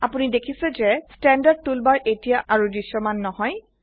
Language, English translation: Assamese, You see the Standard toolbar is no longer visible